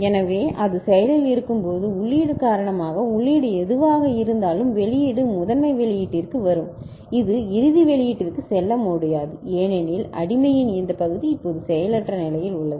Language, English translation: Tamil, So, when it is active so because of the input, whatever the input is present the output comes up to the master output; it cannot go to the final output because this part of the slave is now inactive ok